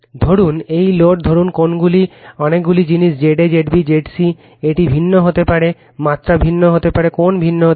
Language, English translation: Bengali, Suppose, this load suppose is the angles are many thing Z a, Z b, Z c, it may be different right, magnitude may be different, angle may be different